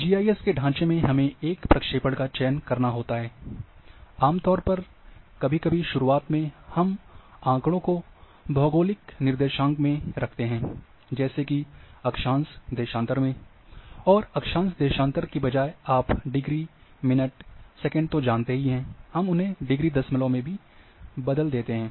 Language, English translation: Hindi, In GIS frame we have to select a projection, generally sometimes initially we keep data in geographic coordinates; that is in latitude longitude, and instead of latitude longitude, and you know degree minute's seconds, we convert them to dd